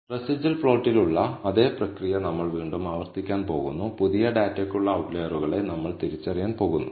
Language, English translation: Malayalam, We are going to repeat the same process again that is on the residual plot, we are going to identify the outliers for the new data